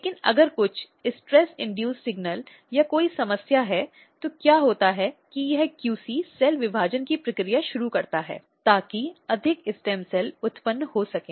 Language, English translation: Hindi, But if there is some stress induced signal or any issues, then what happens that this QC basically starts a process of cell division just to generate morestem cells